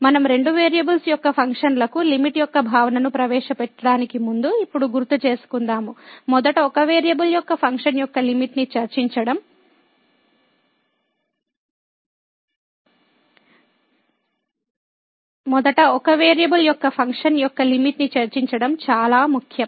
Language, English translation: Telugu, So, we recall now before we introduce the limit the concept of the limit for the functions of two variables, it is important to first discuss the limit of a function of one variable